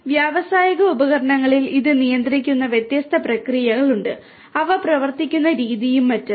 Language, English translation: Malayalam, So, there are different processes which control this in industrial instruments, the way they work and so on